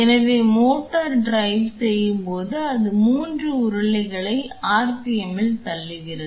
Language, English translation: Tamil, So, what happens is as the motor drives it pushes the 3 rollers at the set R P M